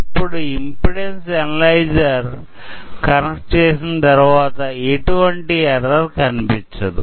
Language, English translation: Telugu, Now the impedance analyzer is connected, and no error is being shown